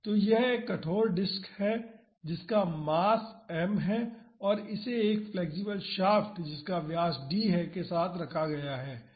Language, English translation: Hindi, So, this is a rigid disk which has a mass m and it is mounted on this flexible shaft with diameter d